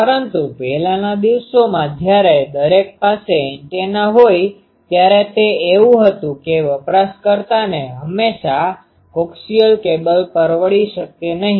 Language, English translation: Gujarati, But, in earlier days when everyone was having an antenna, it was that user cannot afford always a coaxial cable